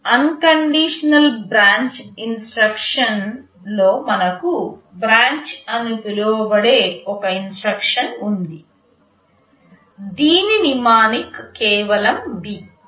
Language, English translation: Telugu, In unconditional branch, we have an instruction called branch whose mnemonic is just B